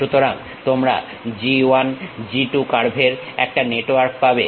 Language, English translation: Bengali, So, you will be having a network of G 1, G 2 curves